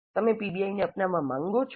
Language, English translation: Gujarati, You want to adopt PBI